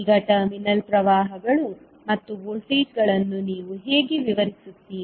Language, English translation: Kannada, So now, how you will describe the terminal currents and voltages